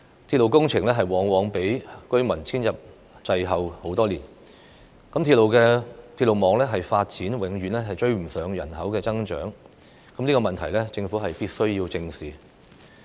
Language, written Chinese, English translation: Cantonese, 鐵路工程往往較居民遷入滯後多年，鐵路網發展永遠趕不上人口增長，這個問題是政府必須正視的。, This has demonstrated that our railway construction often lags far behind population intake and railway development often fails to keep pace with population increase . The Government must face up to this problem squarely